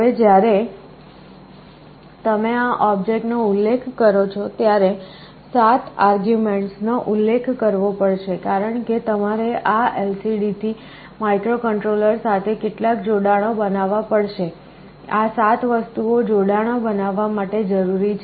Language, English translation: Gujarati, Now when you specify this object, 7 arguments have to be specified, because you see with this LCD you have to make some connections with the microcontroller, these 7 things are required to make the connections